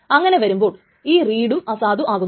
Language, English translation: Malayalam, That means this read is also invalidated